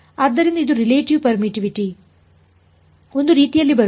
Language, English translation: Kannada, So, it becomes the relative permittivity comes in a way